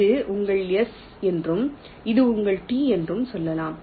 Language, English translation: Tamil, lets say this is your s and this is your t